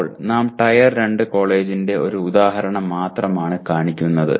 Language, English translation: Malayalam, Now we show only one example of Tier 2 college